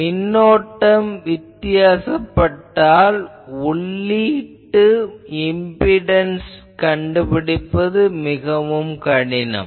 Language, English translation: Tamil, So, if the current is different then, the input impedance will be difficult